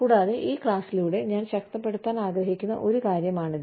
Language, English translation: Malayalam, And, this is something, that I would like to reinforce, through this class